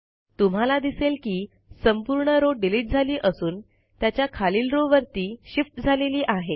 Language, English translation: Marathi, You see that the entire row gets deleted and the row below it shifts up